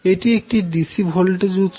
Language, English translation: Bengali, So this is a dc voltage source